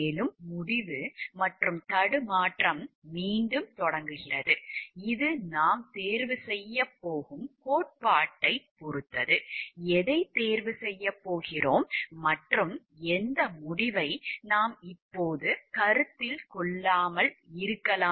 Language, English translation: Tamil, And there starts again the decision and dilemma which is the theory that we are going to choose which is the conclusion that we are going to choose and which is the conclusion that is what we may not be considering now